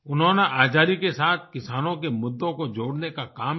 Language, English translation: Hindi, He endeavored to connect the issues of farmers with Independence